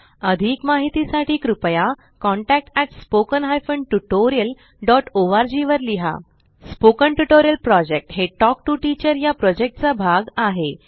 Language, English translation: Marathi, For more details, please write to,contact@spoken tutorial.org Spoken Tutorial Project is a part of the Talk to a Teacher project